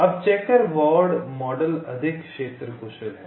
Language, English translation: Hindi, ok now, checker board mod model is more area efficient